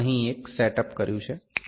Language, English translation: Gujarati, I have made a set up here